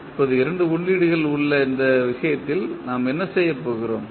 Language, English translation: Tamil, Now, what we will do in this case we have two inputs